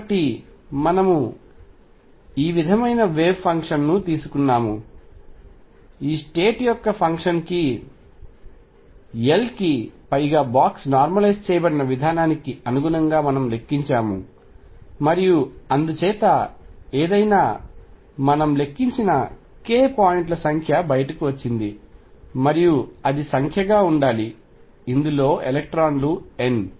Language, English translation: Telugu, And so, we had taken these way function we have counted this state’s corresponding to the way function which have been box normalized over L and therefore, the number of k points came out to be whatever we have calculated, and that should be the number of electrons n in this